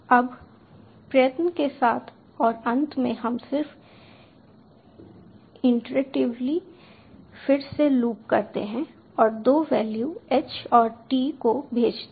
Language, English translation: Hindi, now with try and finally we just iteratively loop again and again and send two values, h and t